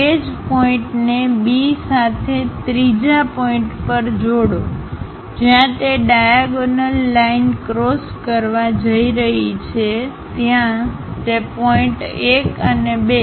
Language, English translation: Gujarati, I repeat, so, join B to that fourth point similarly join B to third point wherever it is going to intersect the diagonal call those points 1 and 2